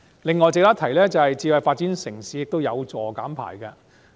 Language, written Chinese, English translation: Cantonese, 此外，值得一提的是，發展智慧城市也有助減排。, Another point worth mentioning is that smart city development facilitates reduction in carbon emissions